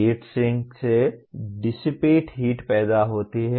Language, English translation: Hindi, Heat sinks produce dissipate heat